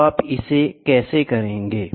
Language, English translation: Hindi, So, how do you solve it